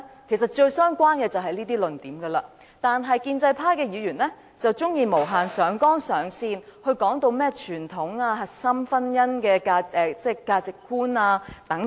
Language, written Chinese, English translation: Cantonese, 其實最相關的便是這些論點，但建制派議員卻喜歡無限上綱上線，說甚麼傳統核心婚姻價值觀等。, Indeed these are the most relevant points but the pro - establishment Members like to infinitely exaggerate the issue by arguing over the traditional core values of marriage and so on